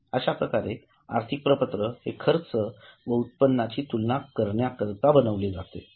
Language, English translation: Marathi, Now a statement is prepared to compare the costs and revenue